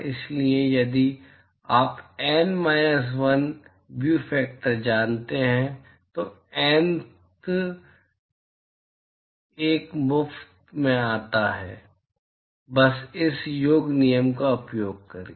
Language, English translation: Hindi, So, if you know N minus 1 view factor, the Nth one comes for free, simply by using this summation rule